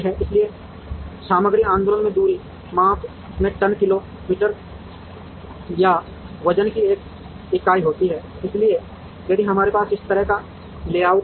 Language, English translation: Hindi, So, the material movement has a unit of ton kilo meter or weight into distance measure, so if we have a, this kind of a layout